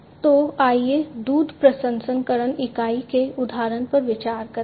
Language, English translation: Hindi, So, let us consider the example of the milk processing unit, milk packaging unit